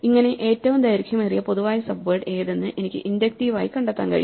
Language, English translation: Malayalam, What is the inductive structure of the longest common subsequence problem